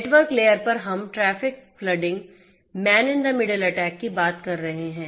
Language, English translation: Hindi, At the network layer, we are talking about traffic flooding, man in the middle attack